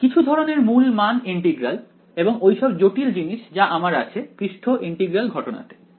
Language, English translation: Bengali, Some kind of a principal value integral and all of those complicated things which I had in the surface integral case